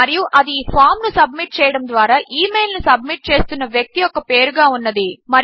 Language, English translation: Telugu, And that is the name of the person sending the email by submitting the form